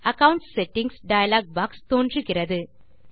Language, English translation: Tamil, The Accounts Settings dialog box appears